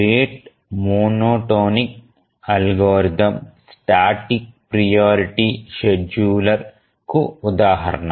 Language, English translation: Telugu, The rate monotonic algorithm is an example of a static priority scheduler